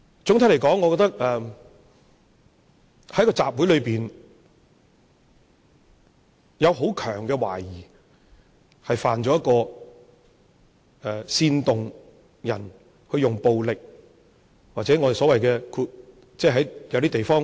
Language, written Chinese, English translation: Cantonese, 總的來說，我覺得在集會上，是有很強的懷疑，懷疑他犯了煽動他人使用暴力，或在某些地方所指的 hate crime。, On the whole I think there is a strong suspicion of him at the rally a suspicion that he has committed the offence of inciting others to use violence or hate crime as referred in other places